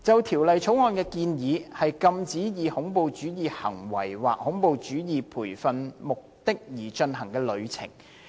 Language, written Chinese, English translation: Cantonese, 《條例草案》建議禁止以恐怖主義行為或恐怖主義培訓為目的而進行的旅程。, The Bill proposes to prohibit travelling for the purpose of terrorist acts or terrorist training